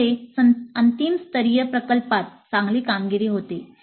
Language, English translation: Marathi, And it leads to better performance in the final year project